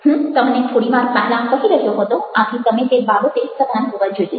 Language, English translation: Gujarati, i was telling you little earlier, so you need to be aware of this